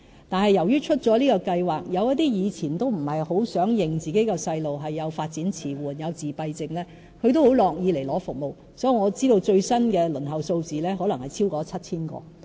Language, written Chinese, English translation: Cantonese, 但是，由於推出這項計劃，有一些以前不太想承認自己的小孩有發展遲緩或自閉症的家長也很樂意接受服務，所以，我知道最新的輪候數字可能超過 7,000 個。, However since the launching of the pilot scheme some parents who were previously reluctant to admit their childrens developmental delay or autism have turned willing to let their children receive the services . As a result I know that the latest number of children waiting for the services may exceed 7 000